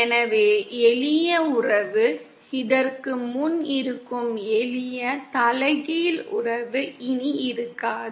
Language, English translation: Tamil, So then the simple relationship, simple inverse relationship that exists before doesnÕt exist anymore